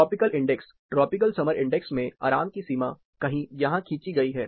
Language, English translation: Hindi, Tropical index, tropical summer index has the boundary of comfort drawn somewhere here